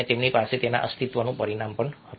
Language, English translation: Gujarati, they had a survival dimension to it